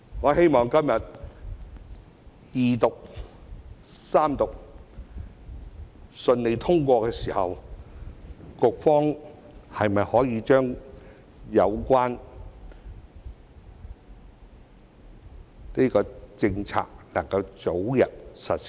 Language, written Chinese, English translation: Cantonese, 我希望今天《條例草案》順利通過二讀、三讀後，局方可以將有關的政策早日實施。, I hope that after the Bill has successfully gone through the Second and Third Reading the Bureau can implement the policy concerned as soon as possible